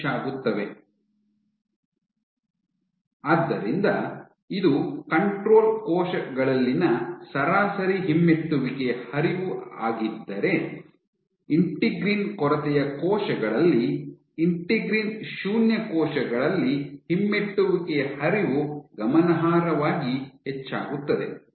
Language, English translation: Kannada, So, if this was the average retrograde flow in control cells, in integrin deficient cells, integrin null cells the retrograde flow was significantly increased